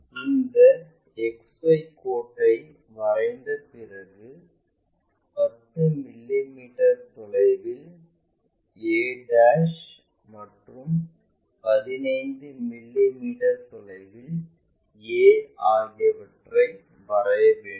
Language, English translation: Tamil, After drawing this XY line locate a ' is equal to 10 mm this point this will be 10 mm and a 15 mm